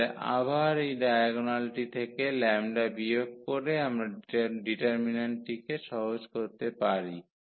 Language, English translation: Bengali, So, again this lambda is subtracted from the diagonal and we can simplify this determinant